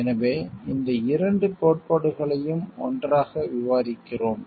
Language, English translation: Tamil, So, that is why we are discussing both these theories together